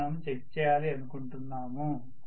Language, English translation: Telugu, That is what we want to check, right